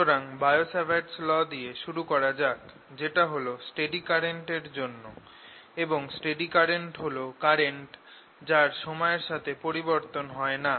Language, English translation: Bengali, so let me start with bio savart law, which you recall, for steady currents and what you mean by steady currents